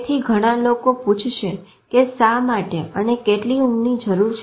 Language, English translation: Gujarati, So, lot of people will ask why sleep required, how much